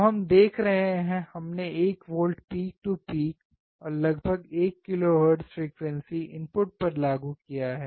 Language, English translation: Hindi, So, what we are looking at, we have applied 1 volts peak to peak, around 1 kilohertz frequency at the input